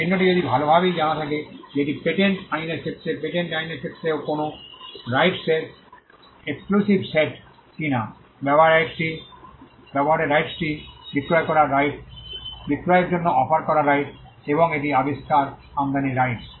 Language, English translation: Bengali, If the mark is well know if it is a reputed mark the exclusive set of rights when it comes to patent law, on a patent pertain to the right to make, the right to sell the right to use, the right to offer for sale and the right to import an invention